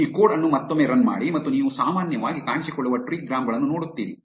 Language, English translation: Kannada, Run this code again and you see the most commonly appearing trigrams